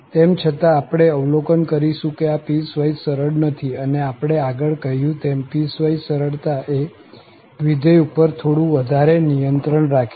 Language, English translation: Gujarati, However, what we will observe that this is not piecewise smooth and as we said before that the piecewise smoothness is putting more restrictions on the function